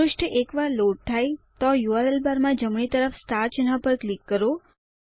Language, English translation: Gujarati, Once the page loads, click on the star symbol to the right of the URL bar